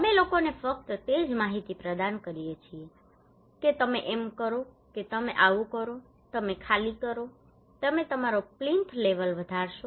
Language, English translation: Gujarati, We only provide information to the people telling them you do this you evacuate you raise your plinth level okay